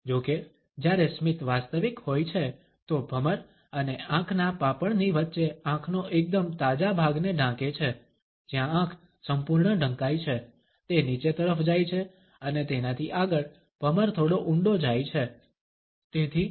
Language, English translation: Gujarati, However, when the smile is genuine the fresher part of eye between the eyebrow and the eye lid where I cover full, moves downwards and beyond that the eyebrows deep slightly (Refer Time: 19:09)